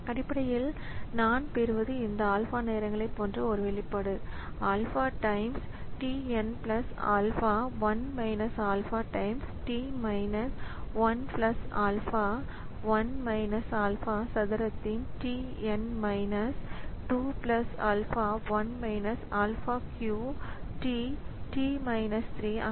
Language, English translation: Tamil, So, essentially what I am getting is an expression like this alpha times alpha times t n plus alpha into 1 minus alpha times t n minus 1 plus alpha into 1 minus alpha 2 plus alpha into 1 minus alpha cube into t n minus 3